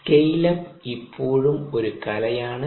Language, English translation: Malayalam, the scale up is still an art